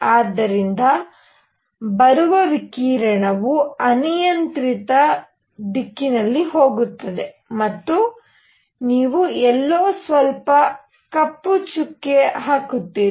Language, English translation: Kannada, So, that the radiation that comes in, goes in arbitrary direction and you also put a little bit of black spot somewhere